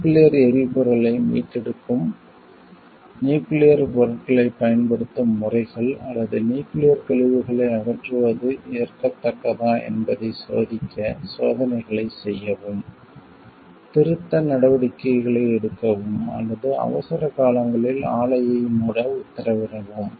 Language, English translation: Tamil, Perform experiment to test whether methods of using nuclear material reclaiming nuclear fuel, or disposing of nuclear waste are acceptable, take corrective actions, or order plant shutdowns in emergencies